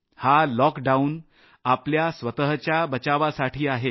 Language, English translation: Marathi, This lockdown is a means to protect yourself